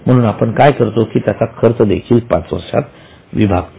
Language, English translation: Marathi, So, what we do is the expenses thereon are also spread over 5 years